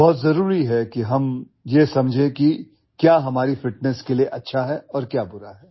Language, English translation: Hindi, It is very important that we understand what is good and what is bad for our fitness